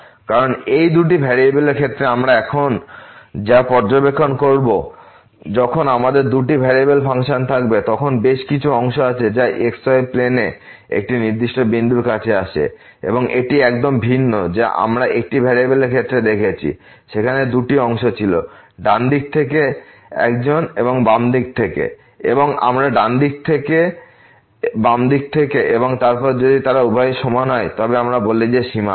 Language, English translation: Bengali, Because what we will observe now in case of these two variable when we have the functions of two variables, then there are several parts which approaches to a particular point in the xy plane and this is completely different what we have seen in case of one variable where there were two parts; one from the right side, one from the left side and we used to get the limit from the right side, from the left side and then, if they both are equal we say that the limit exist